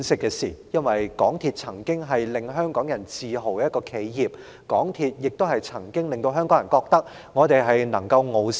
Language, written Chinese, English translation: Cantonese, 港鐵公司曾經是令香港人自豪的一間企業，亦曾令港人認為我們能夠傲視全球。, MTRCL used to be the pride of the people of Hong Kong giving the people of Hong Kong the impression of being the envy of the world